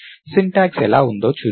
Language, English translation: Telugu, Lets see how the syntax is